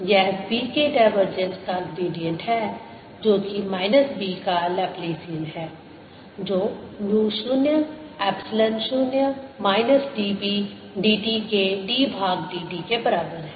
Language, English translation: Hindi, this is gradient of divergence of b, which is zero, minus laplacian of b is equal to mu zero, epsilon zero d by d t of minus d b d t